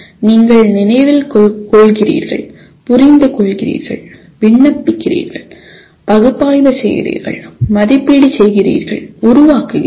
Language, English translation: Tamil, You are remembering, understanding, applying, analyzing, evaluating and creating